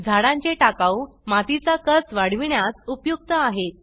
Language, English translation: Marathi, Tree wastes are useful in increasing soil fertility